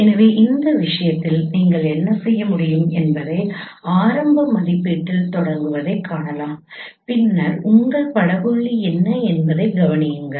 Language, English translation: Tamil, So, in this case you can see that what you can do is start with an initial estimate and then observe what is your image point